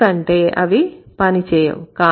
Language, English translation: Telugu, That doesn't work